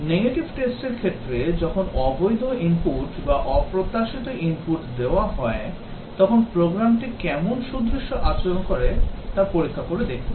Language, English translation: Bengali, Whereas the negative test cases, check that the program behaves gracefully when invalid inputs or unexpected inputs are given